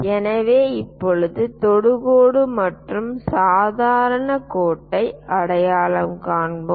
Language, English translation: Tamil, So, now, let us identify the tangent line and the normal line